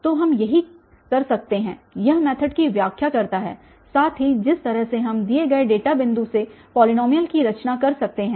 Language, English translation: Hindi, So, this is what we can, this is, this explains the method also the way we can construct a polynomial given data points